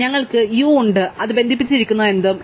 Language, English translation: Malayalam, So, we have U and whatever it is connected to